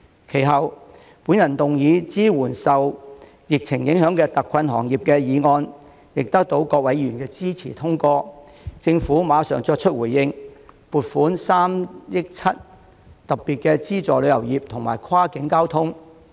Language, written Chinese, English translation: Cantonese, 其後，我動議"支援受疫情影響的特困行業"議案，亦得到各位議員支持通過，政府馬上作出了回應，撥款3億 7,000 萬元特別資助旅遊業及跨境交通。, Subsequently I moved a motion on Providing support for hard - hit industries affected by the epidemic which was also passed with the support of Members and the Government immediately responded by allocating 370 million to specifically support the tourism sector and cross - boundary transport